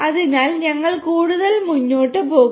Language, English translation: Malayalam, So, we will proceed further